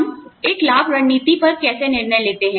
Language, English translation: Hindi, How do we decide on a benefits strategy